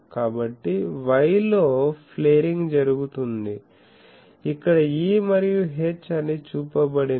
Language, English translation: Telugu, So, flaring is done in the y, here it is shown that E and H